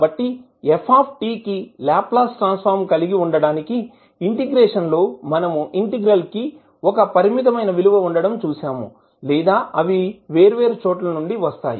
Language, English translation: Telugu, So, in order for ft to have a Laplace transform, the integration, the integral what we saw here should be having a finite value or it will converge